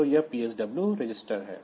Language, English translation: Hindi, So, this is the PSW register